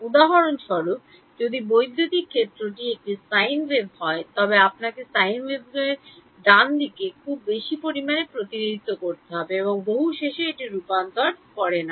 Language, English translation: Bengali, For example, if an electric field is a sine wave how many polynomials you need to represent a sine wave right a very large amount and finally, it does not converge